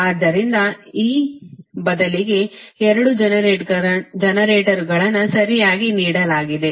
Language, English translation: Kannada, so, instead of, instead of this, two generators are given, right